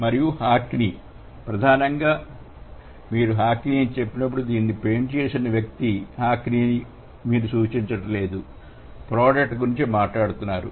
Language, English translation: Telugu, And hockney, which is primarily when you say hockney, that means you are not referring to the person whockney who has painted this, rather you are talking about the product, right